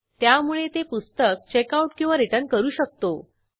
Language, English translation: Marathi, So that we can Checkout/Return that book